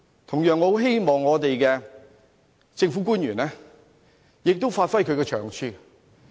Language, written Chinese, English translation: Cantonese, 同樣，我很希望政府官員也發揮長處。, I really hope that government officials can also give full play to their talents